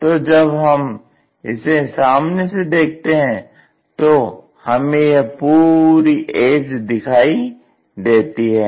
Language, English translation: Hindi, When we are looking this entire edge will be visible here